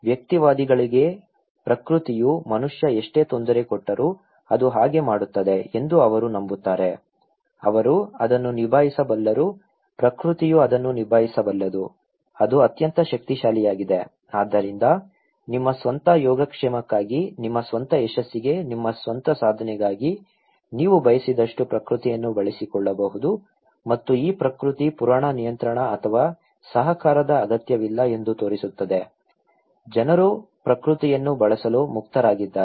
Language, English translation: Kannada, For the individualist, they believe that nature is like no matter how much human disturb it, it will; they can handle it, nature can handle it, it is super powerful, so for your own well being, for your own achievement for your own success, you can utilize the nature as much as you wish and okay, this myth of nature shows that there is no need for control or cooperations, people are free to use the nature